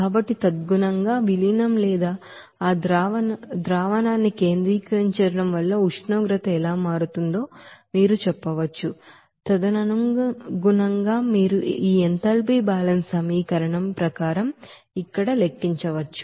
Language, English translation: Telugu, So accordingly you can say that, that how temperature will be changing because of the dilution or concentrating that solution also, accordingly you can calculate here as per this enthalpy balance equation